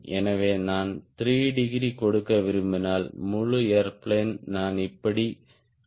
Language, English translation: Tamil, so if i want to give three degree i have to rotate the whole airplane like this